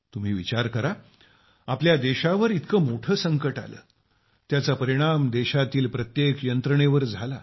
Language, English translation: Marathi, Think for yourself, our country faced such a big crisis that it affected every system of the country